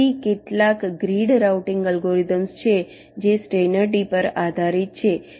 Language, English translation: Gujarati, so there are some grid routing algorithms which are also based on steiner tree